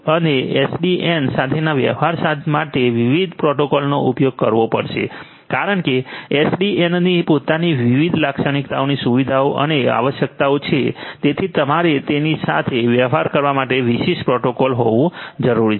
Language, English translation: Gujarati, And the different protocols that will have to be used in order to deal with you know with SDN because SDN has its own different characteristics features and requirements so, you need to have specific protocols to deal with it